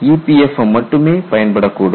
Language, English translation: Tamil, Only EPFM will help